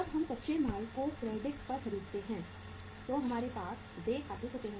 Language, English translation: Hindi, When we purchase the raw material on credit so we have the accounts payable